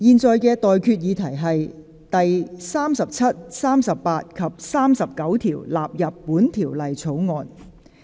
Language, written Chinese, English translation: Cantonese, 我現在向各位提出的待決議題是：第37、38及39條納入本條例草案。, I now put the question to you and that is That clauses 37 38 and 39 stand part of the Bill